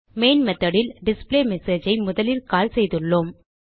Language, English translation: Tamil, In the Main method, we have first called the displayMessage